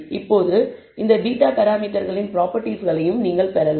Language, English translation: Tamil, Now, you can also derive properties of these parameters beta